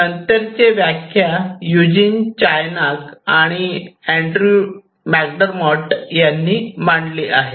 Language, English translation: Marathi, So, the lateral definition is basically proposed by Eugene Charniak and Drew McDermott